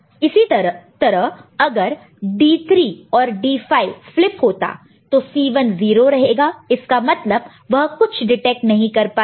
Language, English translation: Hindi, So, similarly D 3 and D 5 if you see, so D 3, D 5 both flipped so that means this will be 0 it cannot detect anything, so 0